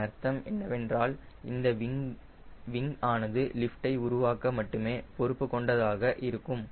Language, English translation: Tamil, that means this wing will only be responsible for producing lift